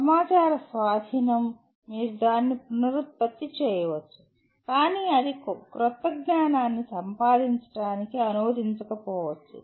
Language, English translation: Telugu, Possession of information you may reproduce it but that may not translate into acquisition of new knowledge